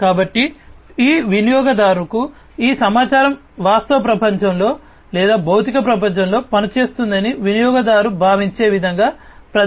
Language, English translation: Telugu, So, this information to the user is presented in such a way that the user feels that the user is operating is acting in the real world or physical world